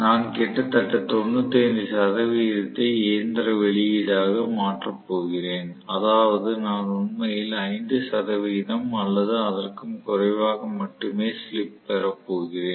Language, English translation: Tamil, So, I am going to have almost 95 percent being going into being converted into mechanical output, which means I am going to have actually slip to be only about 5 percent or even less